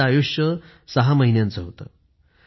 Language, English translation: Marathi, It had a life expectancy of 6 months